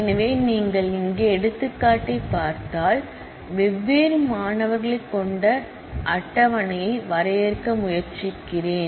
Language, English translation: Tamil, So, if you just look into the example here, so, I am trying to define a table having different students